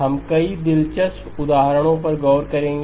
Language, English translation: Hindi, We will look at several interesting examples